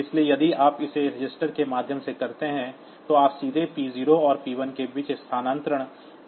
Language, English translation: Hindi, So, you cannot directly transfer between p 0 and p 1, if you do it via a register